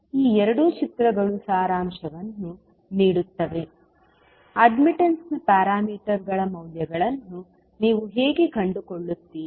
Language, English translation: Kannada, So, these two figures will summarize, how you will find out the values of the admittance parameters